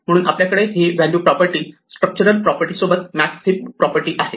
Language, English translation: Marathi, So, we have the value property the max heap property along with the structural property